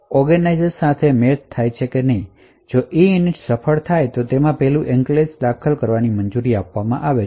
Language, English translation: Gujarati, So, if EINIT is successful it allows the enclave to be entered